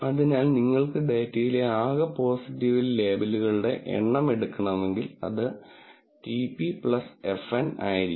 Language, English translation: Malayalam, So, if you want to just take the total number of positive labels in the data that will be TP plus FN